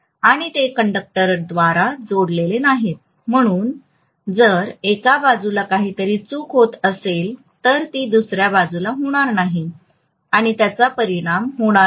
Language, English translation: Marathi, They are not connected through a conductor, so if there is something going wrong on one side it will not or it may not affect the other side